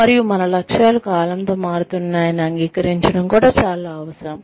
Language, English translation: Telugu, And, it is also essential to accept, that our goals are going to change, with the time